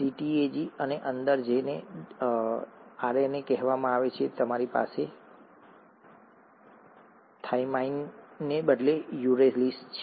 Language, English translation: Gujarati, CTAG and in, in what is called RNA, you have the uracil instead of thymine